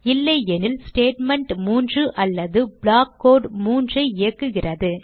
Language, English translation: Tamil, Else it executes statement 3 or block code 3